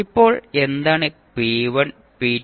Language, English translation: Malayalam, Now, what are the p1, p2 and pn